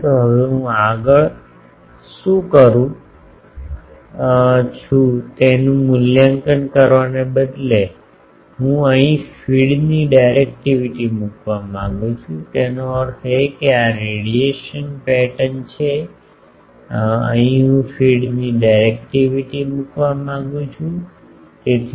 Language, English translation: Gujarati, Now, to that in instead of evaluating it further what I do, I want to put here the directivity of the feed; that means, this is radiation pattern here I want to put the directivity of the feed so, D f